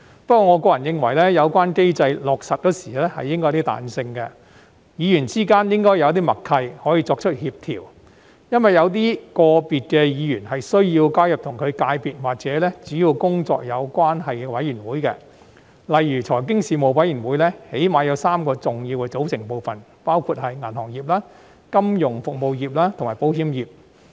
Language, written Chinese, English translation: Cantonese, 不過，我個人認為，有關機制落實時應該有些彈性，議員之間應該有些默契，可以作出協調，因為有些個別的議員是需要加入與其界別或主要工作有關係的事務委員會，例如財經事務委員會起碼有3個重要的組成部分，包括銀行業、金融服務業及保險業。, Having said that I personally think some flexibility should be allowed in the implementation of the mechanism and there should be some tacit understanding among Members for coordination to be made . It is because some Members do need to join Panels that are related to their sectors or main duties . For example the Panel on Financial Affairs has at least three major components namely the banking industry financial services industry and insurance industry